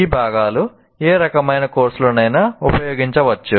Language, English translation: Telugu, That means these components can be used in any type of course